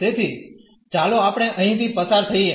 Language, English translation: Gujarati, So, let us just go through here